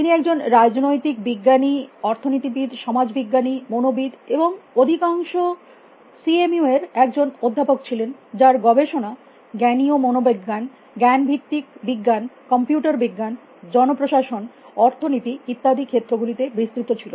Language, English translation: Bengali, He was a political scientist economist, sociologist, psychologist and a professor mostly at CMU who’s research range across all these fields cognitive psychology, cognitive science, computer science public administration economics and so on and so forth